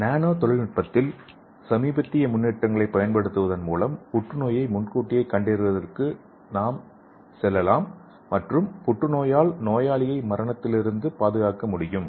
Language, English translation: Tamil, So by using nanotechnology, we can go for early detection of cancer and we can protect the patient from the cancer death